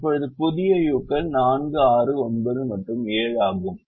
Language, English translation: Tamil, now the new u's are four, six, nine and seven